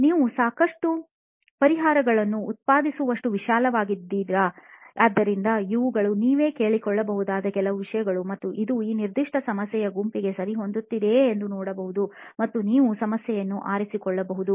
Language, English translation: Kannada, Is it broad enough that you can generate a lot of solutions, so these are some things that you can ask yourself and see if it fits this particular problem set and you can pick a problem